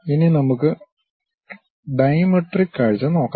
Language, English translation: Malayalam, Now, let us look at dimetric view